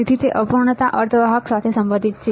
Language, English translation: Gujarati, So, it is related to imperfection semiconductor